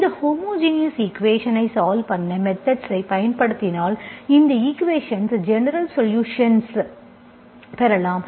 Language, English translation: Tamil, Once you apply the method to solve this homogeneous equation, this is how you will get a solution, general solution of this equation for some G